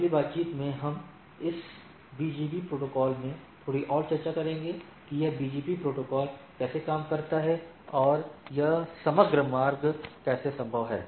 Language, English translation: Hindi, In the next talk, we will discuss little more into this BGP protocol to see that how this BGP protocol works and how this overall routing is feasible